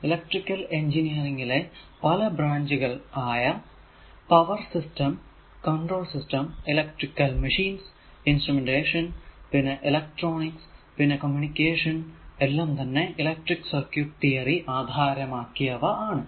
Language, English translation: Malayalam, So, several branches in electrical engineering like power system, control system, electric machines, instrumentation, then electronics, then communication, all are based on your electric circuit theory right